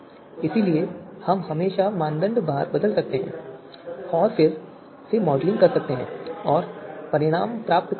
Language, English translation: Hindi, So therefore we you know we can always change the criteria weights and again do the modelling and we will get the results